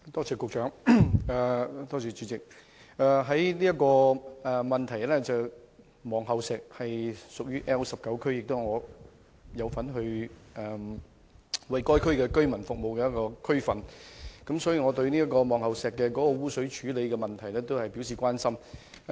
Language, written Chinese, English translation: Cantonese, 這項質詢涉及的望后石位於 L19 選區，是我所服務的地區之一，所以我對望后石污水處理問題表示關心。, The place Pillar Point mentioned in the question falls within the L19 constituency which is an area I serve . That is why I am concerned about the treatment of effluent in Pillar Point